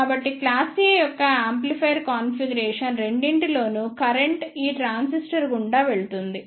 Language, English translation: Telugu, So, in both the amplifier configuration of class A the current will passed through this transistor